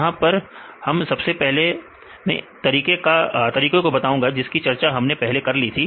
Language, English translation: Hindi, So, here first I explained about the method what I already discussed earlier